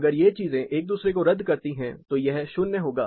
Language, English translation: Hindi, If these things cancel each other then this will be 0